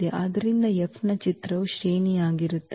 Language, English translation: Kannada, So, image of F will be the rank